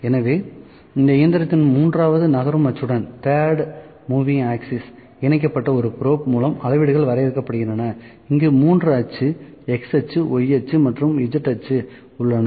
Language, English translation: Tamil, So, measurements are defined by a probe attached to the third moving axis of this machine where 3 axis, x axis, y axis and z axis, in z axis